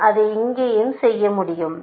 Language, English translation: Tamil, I can do it here as well